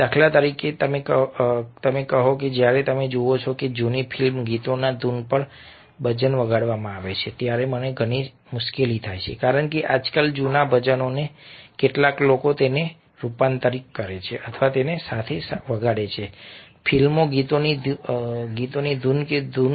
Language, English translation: Gujarati, for instance, i have lot of difficulty when you see that bajans are played to the old film songs tunes, because sometimes old vajans are these days some people converted it into or play it along a the melodies or the tunes of film songs